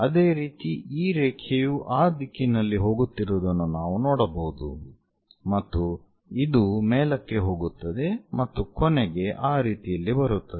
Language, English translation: Kannada, Similarly, this line we will see it as that there is going in that direction that goes in that way and it goes up comes there